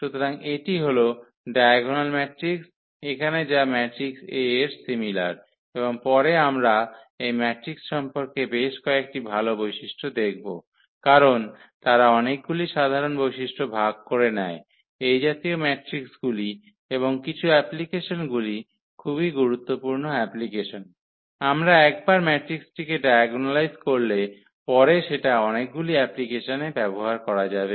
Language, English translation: Bengali, So, that is the diagonal matrix here which is similar to the matrix A and later on we will observe several good properties about this matrix because they share many common properties these similar matrices and some of the applications very important applications one we can once we can diagonalize the matrix we can we can use them in many applications